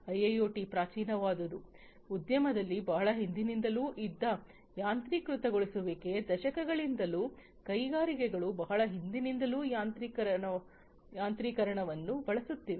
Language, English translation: Kannada, So, IIoT is primitive is that automation that has been there since long in the industry, since decades, it has been there industries have been using automation, since long